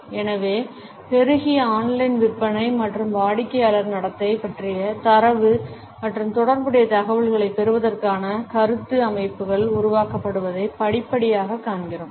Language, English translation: Tamil, So, gradually we find that increasingly online sales and feedback systems for getting data and related information about the customer behaviour were generated